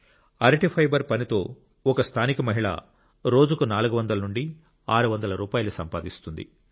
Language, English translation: Telugu, Through this work of Banana fibre, a woman from the area earns four to six hundred rupees per day